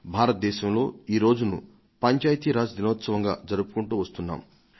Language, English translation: Telugu, This is observed as Panchayati Raj Day in India